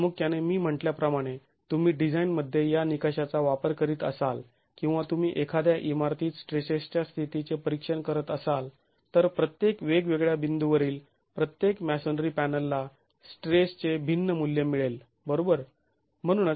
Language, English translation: Marathi, Primarily as I said if you were to use this sort of a criterion in design or you were to examine the states of stresses in a building, every masonry panel at every different point is going to have a different value of stress